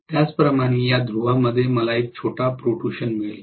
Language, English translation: Marathi, Similarly, I am going to have a small protrusion in this pole